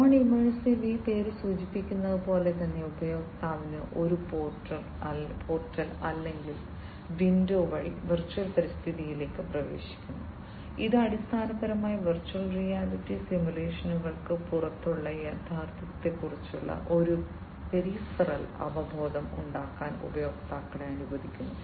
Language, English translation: Malayalam, Non immersive, as these name suggests, the user enters into the virtual environment through a portal or, window and this basically allows the users to have a peripheral awareness of the reality outside the virtual reality simulations